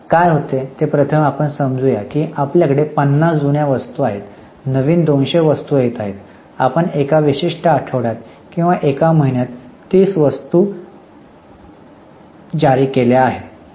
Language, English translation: Marathi, Now, in first in first out what happens is suppose we have got 50 items which are the older items, new 200 items are coming and you have issued 30 items in a particular week or a month